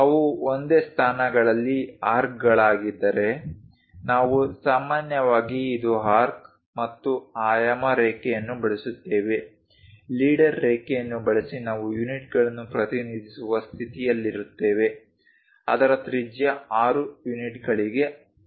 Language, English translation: Kannada, If those are arcs at single positions, we usually this is the arc and using dimension line, leader line we will be in a position to represent the units; R for radius 6 units of that